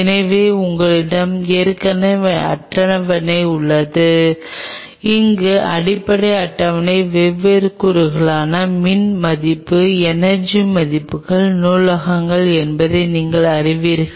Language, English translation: Tamil, So, you have already the table at your disposal where you know the basic table is the library of e values energy values for different elements